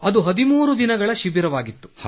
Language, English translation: Kannada, Sir, it was was a 13day camp